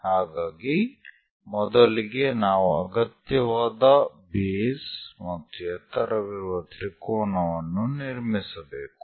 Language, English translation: Kannada, First, we have to construct a triangle of required base and height